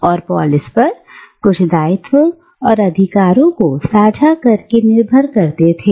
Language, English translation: Hindi, And they belonged to these polis by sharing certain obligations and rights as citizens